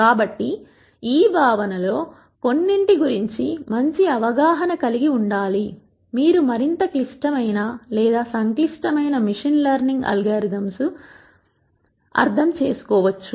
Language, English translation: Telugu, So, one needs to have a good understanding of some of these concepts be fore you can go and understand more complicated or more complex machine learning algorithms